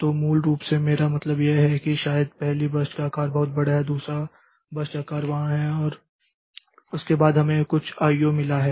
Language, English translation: Hindi, So, basically what I mean is that maybe the first burst size is very large, the second birth size then after that we have got some I